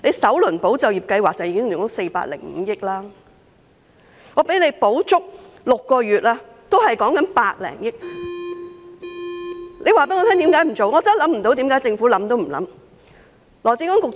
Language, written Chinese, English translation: Cantonese, 首輪"保就業"計劃已經花了405億元，即使失業援助金提供全期6個月，也只是百多億元，請政府告訴我為何不做？, Even if unemployment assistance is provided for a full period of six months it will only cost some 10 billion . Will the Government please tell me why it refuses to do so?